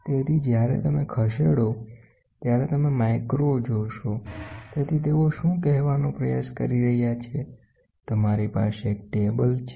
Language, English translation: Gujarati, So, that as and when you move you see the micro so, what they are trying to say is, you have a table